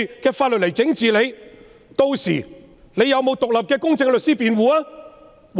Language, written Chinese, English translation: Cantonese, 屆時疑犯是否有獨立公正的律師辯護？, By then will the suspect be defended by an independent and impartial lawyer?